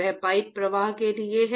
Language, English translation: Hindi, That is for pipe flow